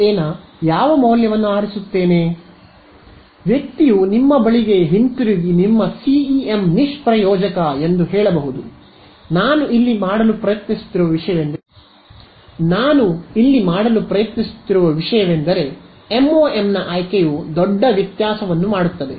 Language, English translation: Kannada, So, this person may come back at you and say your CEM is useless right and will almost be correct except that, as I am the point I am trying to make here is that the choice of MoM makes a huge difference right